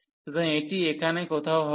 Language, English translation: Bengali, So, this is going to be somewhere here